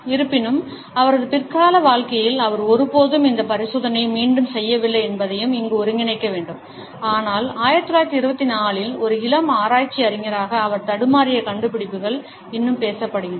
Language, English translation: Tamil, Although, it must also be integrated here that in his later life he never repeated this experiment, but the findings which he stumbled upon as a young research scholar in 1924 are still talked about